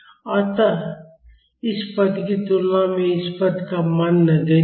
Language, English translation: Hindi, So, compared to this term the value of this term is negligible